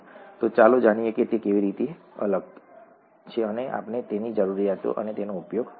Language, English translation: Gujarati, So let us see how that is and let us see an application of that towards our needs